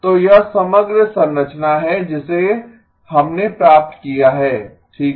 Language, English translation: Hindi, So this is the overall structure that we have obtained okay